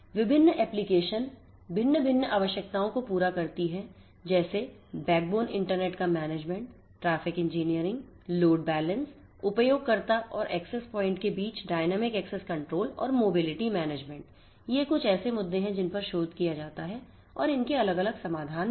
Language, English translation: Hindi, Different applications serving different different requirements such as network management for backbone internet, traffic engineering, load balancing, dynamic access control between the user and the access points, mobility management, these are some of the issues that are researched and there are different solutions to them